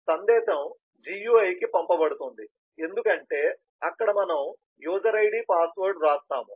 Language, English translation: Telugu, and the message is sent to the gui because that is where we write down the user id, password